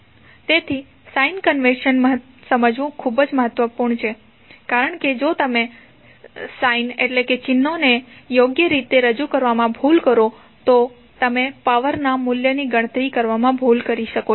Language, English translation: Gujarati, So, the sign convention is very important to understand because if you make a mistake in representing the signs properly you will do some mistake in calculating the value of power